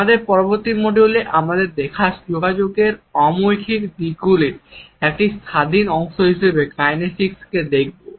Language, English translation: Bengali, In our next module we would look at kinesics as an independent part of nonverbal aspects of communication